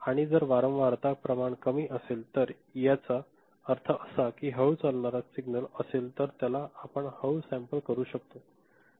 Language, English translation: Marathi, And, if it is a frequency quantity is less; that means, slow moving signal you can sample it at a lower right